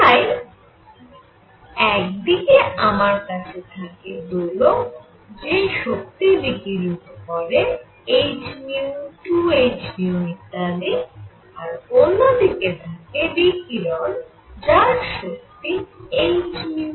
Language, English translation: Bengali, So, on one hand, I have oscillators that radiate that have energy h nu 2 h nu and so on the other radiation itself has energy h nu